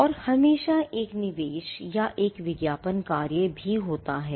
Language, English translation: Hindi, And always there is also an investment or an advertising function